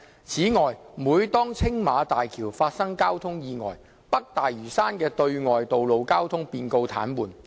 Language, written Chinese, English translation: Cantonese, 此外，每當青馬大橋發生交通意外，北大嶼山的對外道路交通便告癱瘓。, In addition the external road traffic of North Lantau will be paralysed whenever a traffic accident happens on the Tsing Ma Bridge